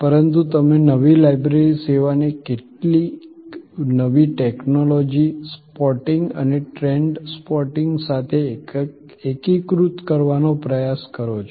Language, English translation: Gujarati, But, you try to integrate the new library service with some new technologies spotting and trend spotting